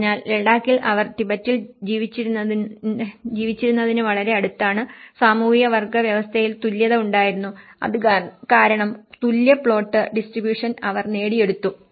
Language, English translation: Malayalam, So, that is where, in Ladakh, it is very much close to what they used to live in Tibet, equality in social class system because it has been attained for equal plot distribution